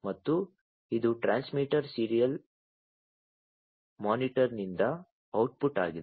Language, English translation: Kannada, And this is the output from the transmitter serial monitor